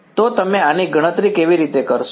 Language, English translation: Gujarati, So, how do you calculate this